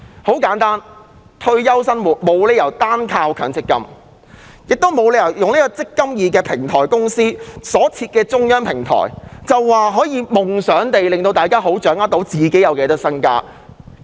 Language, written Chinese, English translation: Cantonese, 然而，退休生活沒有理由單靠強積金支持，也沒有理由讓"積金易"平台公司設立中央電子平台，便夢想可方便大家掌握自己有多少資產。, Nevertheless retirement life cannot rely solely on MPF and neither can it be justified to expect that with the establishment of a centralized electronic platform by the eMPF Platform Company things will be made easier for all scheme members to better understand how many assets they have